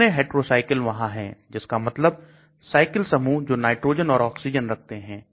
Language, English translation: Hindi, How many heterocycles are there that means cyclic groups which contains nitrogen, oxygen